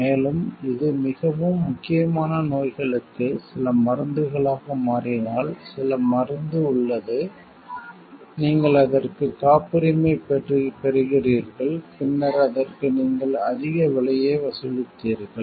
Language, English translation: Tamil, And like if it becomes some for very critical deceases some drug is there and you patent it and then you very charged a very high price for it